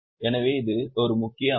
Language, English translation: Tamil, So, this is a major structure